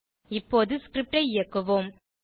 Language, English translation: Tamil, Now let us execute the script